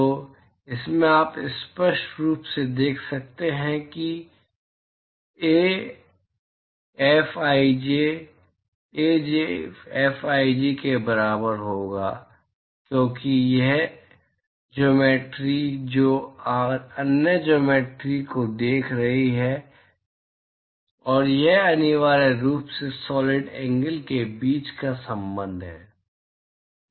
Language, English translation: Hindi, So, from this you can clearly see that Ai Fij will be equal to Aj Fji, because this geometry which is seeing the other geometry, and this is essentially the relationship between the solid angles